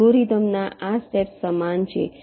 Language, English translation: Gujarati, this steps of the algorithm are similar